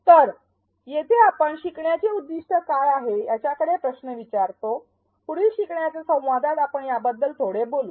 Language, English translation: Marathi, So, here we ask questions like what are the learning objectives; we will talk a little bit about that in the next learning dialogue